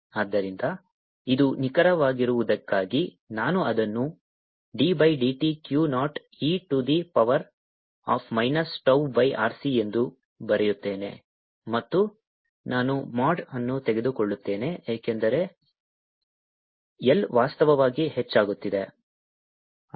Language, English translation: Kannada, so this is, for being precise, let me write it: d by d t, q naught, e to the power minus tau by r c, and i will take the mod because i is increasing in fact